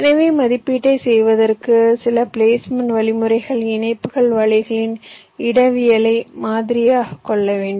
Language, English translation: Tamil, so for making an estimation, some placement algorithm needs to model the topology of the interconnection nets